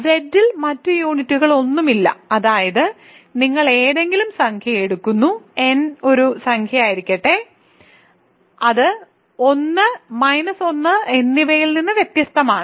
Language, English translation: Malayalam, There are no other units of, no other units in Z, that is because, you take any integer, let n be an integer, which is different from 1 and minus 1